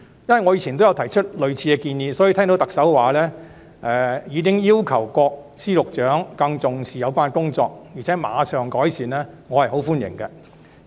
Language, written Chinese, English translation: Cantonese, 我以往也曾提出類似的建議，所以聽到特首說已要求各司局長更注重有關工作，並會馬上改善，我對此表示十分歡迎。, As I have also made similar suggestions in the past when the Chief Executive said she had requested all Secretaries of Departments and Directors of Bureaux to place more emphasis on the related work and make immediate improvements I very much welcome it